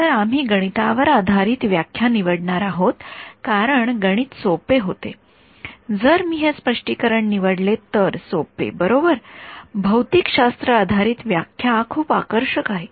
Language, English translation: Marathi, So, we are going to choose the math based interpretation because the math gets easier if I choose this interpretation right, the physic physics based interpretation is very appealing